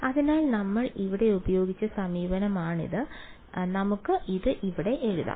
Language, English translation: Malayalam, So, this is the approach that we used over here so let us write it over here